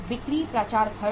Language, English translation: Hindi, Sales promotion expenses